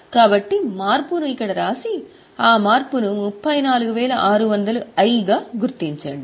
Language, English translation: Telugu, So, write the change here and mark that change as I item